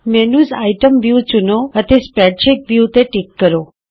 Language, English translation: Punjabi, Select the menu item view, and Check the spreadsheet view